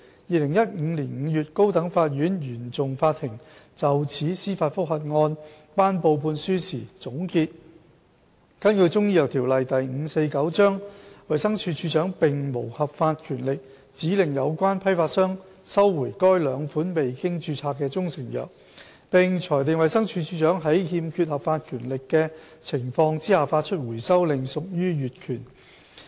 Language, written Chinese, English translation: Cantonese, 2015年5月，高等法院原訟法庭就此司法覆核案頒布判案書時總結，根據《中醫藥條例》，衞生署署長並無合法權力指令有關批發商收回該兩款未經註冊的中成藥，並裁定衞生署署長在欠缺合法權力的情況下發出回收令屬於越權。, The judgment of the judicial review handed down by the Court of First Instance in May 2015 concluded that there was no lawful power under the Chinese Medicine Ordinance Cap . 549 for the Director to instruct the wholesaler concerned to recall the two unregistered proprietary Chinese medicines in question and ruled that the Directors decision to issue the instruction to recall was made without lawful power and thus ultra vires